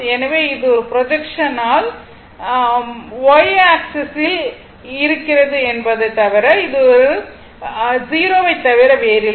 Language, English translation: Tamil, Now if you take a projection on the your x axis, right